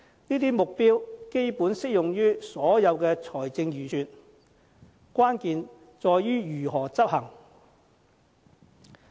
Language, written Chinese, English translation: Cantonese, 這些目標基本適用於所有財政預算，關鍵在於如何執行。, These objectives are actually applicable to all budgets but what matters is how we are going to execute them